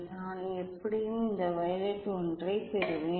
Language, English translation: Tamil, I will get this violet one anyway